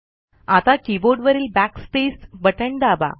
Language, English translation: Marathi, Now press the Backspace button on the keyboard